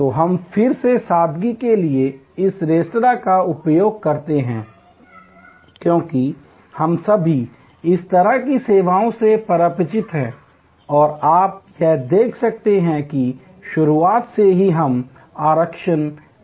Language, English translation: Hindi, So, we have again use this restaurant for simplicity, because we have all familiar with such a service and you can see here, that right from the beginning where we take reservation